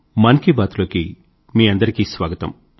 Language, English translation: Telugu, My dear countrymen, welcome to 'Mann Ki Baat'